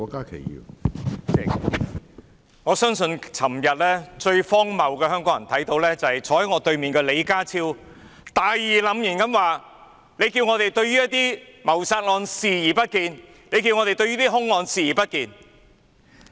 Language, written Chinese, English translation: Cantonese, 主席，我相信昨天香港人看到最荒謬的事，就是坐在我對面的李家超局長大義澟然地說："難道要我們對於一些謀殺案視而不見？對一些兇案視而不見？, President I think the most absurd thing that Hong Kong people saw yesterday was that Secretary John LEE who is sitting opposite to me righteously asked Are we going to turn a blind eye to certain murder cases and certain homicide cases as well?